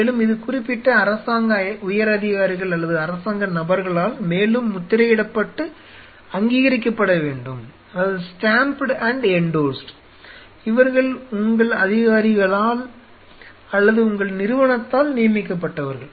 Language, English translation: Tamil, And which is further stamped an endorsed by specific government dignitaries or government individuals who have been appointed by the local authorities or by your institute or something